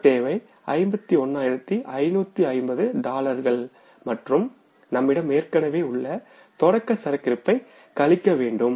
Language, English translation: Tamil, Total requirement is $51,550 and less the opening inventory which is already available with us